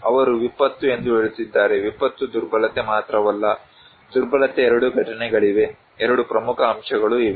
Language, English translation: Kannada, They are saying disaster, not disaster vulnerability only but, vulnerability is there is a two components, two important components are there